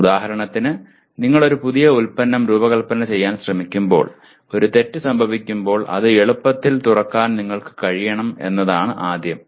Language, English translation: Malayalam, For example when you are trying to design a new equipment, first thing is you should be able to readily open that when there is a fault